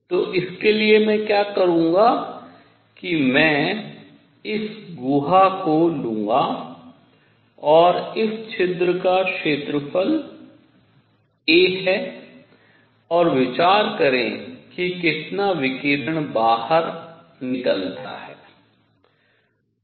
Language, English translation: Hindi, So, for this what I will do is I will take this cavity and this hole has an area a, and consider how much radiation comes out